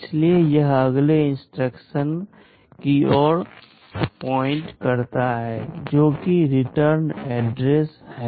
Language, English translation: Hindi, So, it is pointing to the next instruction, that is the return address